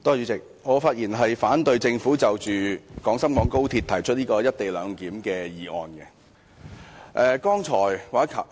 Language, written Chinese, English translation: Cantonese, 代理主席，我發言反對政府就廣深港高鐵"一地兩檢"提出的議案。, Deputy President I speak in opposition to the motion moved by the Government regarding the co - location arrangement for the Guangzhou - Shenzhen - Hong Kong Express Rail Link XRL